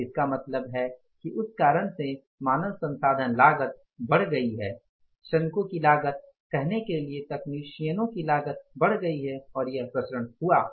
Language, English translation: Hindi, So it may be because of that reason that the HR cost has gone up, the workers cost, the say technician's cost has gone up and this variance has been seen